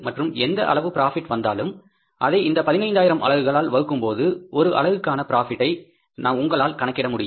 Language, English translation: Tamil, And whatever the total profit comes, if you divide by that 15,000 units, you are able to calculate the per unit profit, right